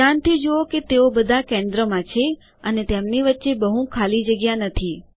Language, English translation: Gujarati, Notice that they are all centered and dont have a lot of space in between them